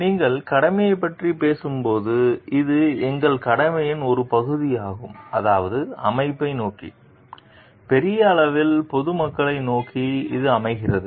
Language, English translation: Tamil, When you talk of duty, it is a part of our duty I mean towards the organization, towards the public at large